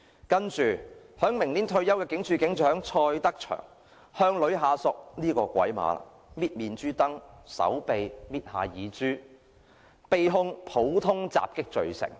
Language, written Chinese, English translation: Cantonese, 接下來，將於明年退休的警署警長蔡德祥——這個"鬼馬"了——捏女下屬的面頰、手臂、耳珠，被控普通襲擊罪成。, Next Station Sergeant CHOY Tak - cheung who will retire next year―this is funny―pinched his female colleagues cheek arm and earlobe and was convicted of common assault